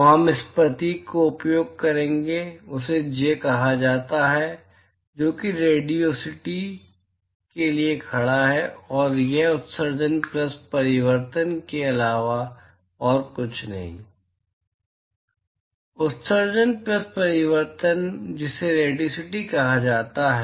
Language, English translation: Hindi, So, the symbol that we will use is called J which stands for radiosity and this is nothing but emission plus reflection, emission plus reflection is what is called as radiosity